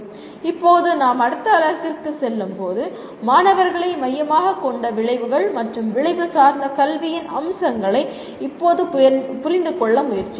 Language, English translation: Tamil, Now when we go to the next unit, we attempt to now understand the features of outcomes and outcome based education that make the education student centric